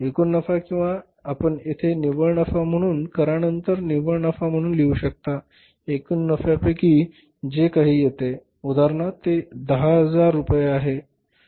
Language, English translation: Marathi, Whatever the total profit or you can write here as the buy net profit after tax, buy net profit after tax, whatever the total amount comes here for example it is 10,000